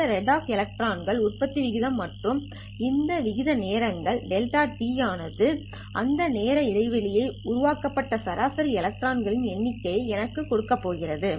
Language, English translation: Tamil, This is rate of electron generation and this rate times delta t is going to tell me the number of electrons on an average that are generated in that particular time interval